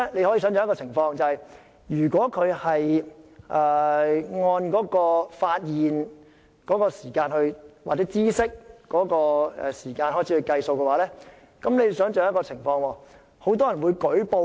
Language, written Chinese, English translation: Cantonese, 可以想象，如果按發現或知悉的時間開始計算，代理主席，很多人便會舉報。, One can imagine that if the time limit for prosecution runs from the date of discovery or notice of the offence Deputy Chairman many people may report the offences